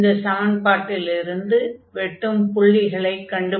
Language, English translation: Tamil, So, on this we need to compute now what is this intersection points